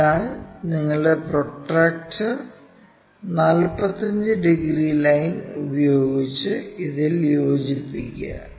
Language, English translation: Malayalam, So, use your protractor 45 degrees line join this